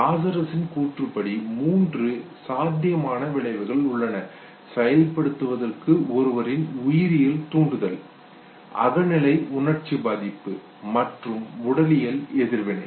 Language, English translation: Tamil, And according to Lazarus there are three possible outcomes, the biological urge of the individual to respond, to act, the subjective affect the emotion, and the physiological response